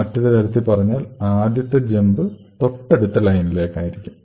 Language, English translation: Malayalam, So, in another words initially the jump is just to the next line